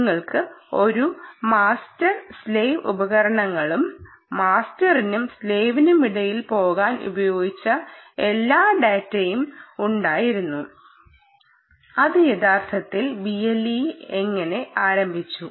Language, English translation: Malayalam, you had a master and slave devices and all data used to go between master and slave, um, which was indeed how b l e actually started right